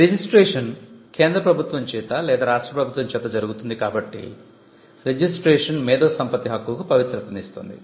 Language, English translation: Telugu, So, registration is done by the government by or by the state, so registration confers sanctity over the intellectual property right